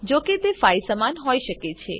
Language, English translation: Gujarati, It can be equal to 5, however